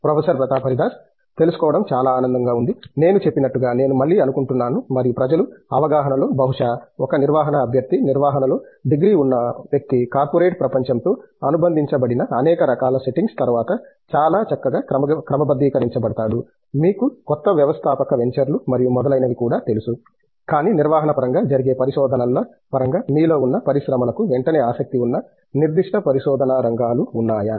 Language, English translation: Telugu, That’s very nice to know, The I think again as I mentioned may be and what is probably there in the public perception is of course, a management candidate; a person with the degree in management is often quite well sort after in many various you know settings associated with corporate world, with even you know new entrepreneurial ventures and so on, but in terms of the research that goes on in the area of the management, are there specific areas of research that the industries sort of you know almost immediately interested in